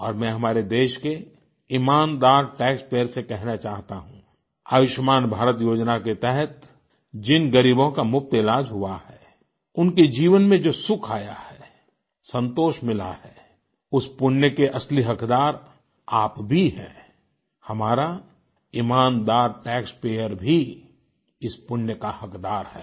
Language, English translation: Hindi, And I want to tell the honest Tax payer of our country that the credit for happiness and satisfaction derived by the beneficiaries treated free under the 'Ayushman Bharat'scheme makes you the rightful stakeholder of the benefic deed, our honest tax payer also deserves the Punya, the fruit of this altruistic deed